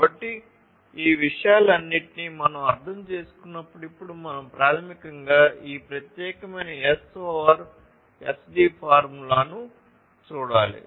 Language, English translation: Telugu, So, while we have understood all of these things we now need to basically look at this particular S over SD formula